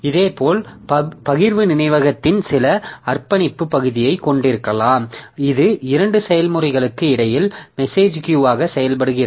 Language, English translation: Tamil, So, similarly, we can have some dedicated part of shared memory which acts as message queue between two processes